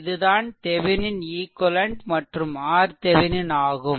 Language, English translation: Tamil, Then you find out what is the equivalent resistance R Thevenin